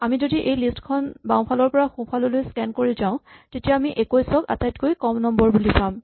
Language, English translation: Assamese, If we scan this list from left to right, then we will find that 21 is the lowest mark